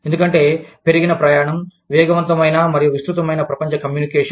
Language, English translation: Telugu, Because of, increased travel, rapid and extensive global communication